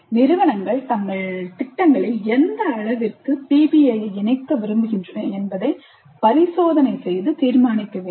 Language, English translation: Tamil, Institutes need to experiment and decide on the extent to which they wish to incorporate PBI into their programs